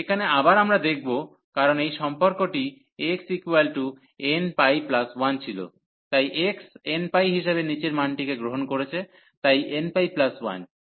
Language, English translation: Bengali, So, again to see here, because this relation was x is equal to n pi plus 1, so x was taking the lower value as n pi, so n pi plus y